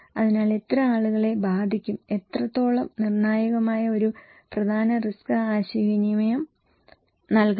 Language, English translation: Malayalam, So, how many people will be affected, what extent is a critical important message risk communication should provide